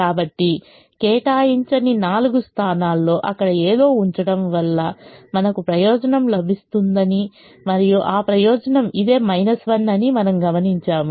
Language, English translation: Telugu, so out of the four unallocated positions, we now observe that putting something here can give us a benefit, and that benefit is this minus one